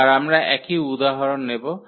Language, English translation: Bengali, So, again we will continue with the same example